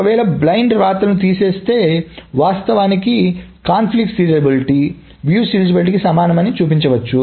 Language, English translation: Telugu, Now if one removes the blind rights, one can show that actually it can be shown that this conflict serializability is equivalent to view serializability